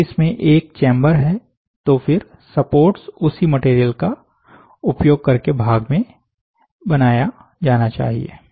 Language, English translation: Hindi, If it has only one chamber, then support must be made using the same material as the part